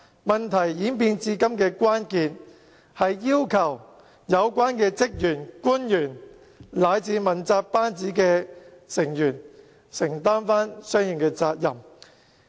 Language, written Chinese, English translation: Cantonese, 問題發展至今，關鍵在於要求有關的職員、官員以至問責班子承擔相應的責任。, Given the development of incident to date the crux of the matter is the responsibility of the relevant staff government officials or even accountability officials